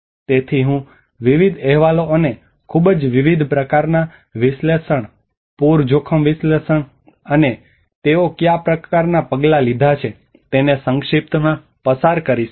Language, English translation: Gujarati, So I will go through a brief of various reports and very different kinds of analysis, the flood risk analysis and what kind of measures they have taken